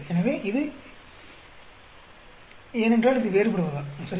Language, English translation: Tamil, So, it is because it is diverging, right